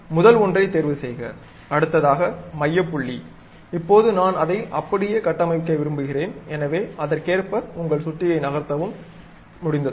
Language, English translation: Tamil, Now, pick first one, center point, now maybe I would like to construct it in that way too, then move your mouse, done